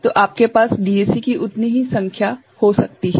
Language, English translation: Hindi, So, you can have as many number of DAC right